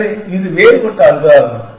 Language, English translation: Tamil, So, this is a different algorithm